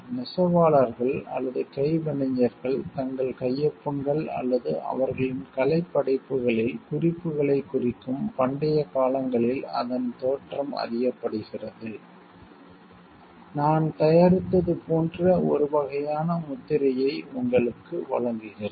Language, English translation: Tamil, It is origin can be traced back to ancient times where weavers or craftsman would mark their signatures or remarks on their artistic word; which gives it a sort of stamp you like this has been produced by me